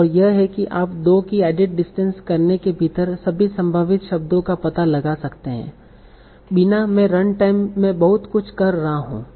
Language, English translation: Hindi, And that's how you can find out all the possible words within addictions of 2 without having to do a lot at runtime